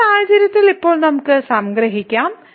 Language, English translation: Malayalam, So, in this case now we can conclude this